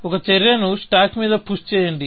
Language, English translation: Telugu, You push the action on to the stack and push